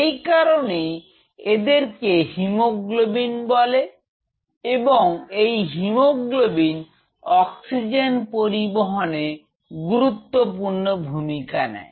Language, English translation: Bengali, So, that is why it makes its hemoglobin and hemoglobin is responsible for attaching to the oxygen and transporting its